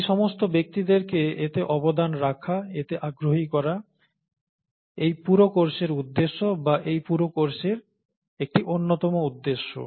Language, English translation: Bengali, Getting those people to contribute to this, getting those people interested in this, is the purpose of this whole course, or one of the purposes of this whole course